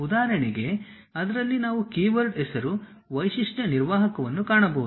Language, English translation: Kannada, For example, in that we might come across a keyword name feature manager